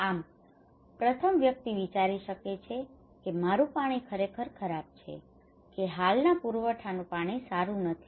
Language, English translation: Gujarati, So the first person, he may consider that, my real water is really bad the present my drinking water supply is not good